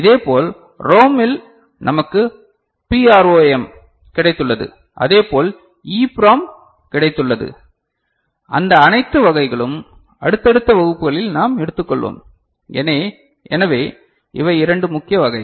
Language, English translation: Tamil, Similarly in ROM we have got PROM we have got EPROM, all those varieties we shall take up in the subsequent classes so, these are the two major variety